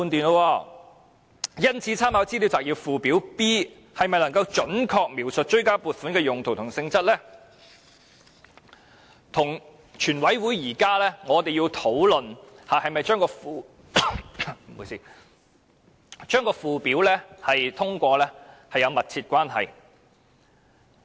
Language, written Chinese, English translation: Cantonese, 因此，立法會參考資料摘要附件 B 是否能夠準確描述追加撥款的用途和性質，與現時全體委員會討論是否通過將附表納入《條例草案》有密切的關係。, For this reason whether or not Annex B to the Legislative Council Brief can accurately describe the purposes and nature of the supplementary appropriations bears close relevance to the present discussion in the committee of the whole Council on the Schedule standing part of the Bill